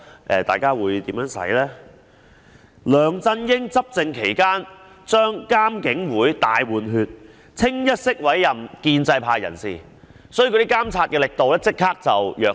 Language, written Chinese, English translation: Cantonese, 梁振英在他執政期間將監警會"大換血"，一律委任建制派人士，所以監察的力度立即轉弱。, LEUNG Chun - ying during his term of office reshuffled IPCC by appointing members purely from the pro - establishment camp thus immediately undermining the strength of monitoring